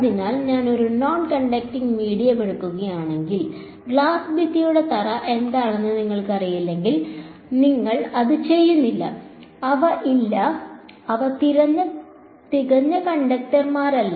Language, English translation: Malayalam, So, if I take a non conducting medium unless you take you know glass wall floor whatever right you do not they are there are no its not they are not perfect conductors